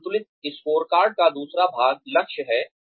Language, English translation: Hindi, The second part of a balanced scorecard is goals